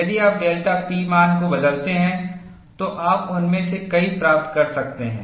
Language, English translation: Hindi, you can get many of them, if you change the delta P value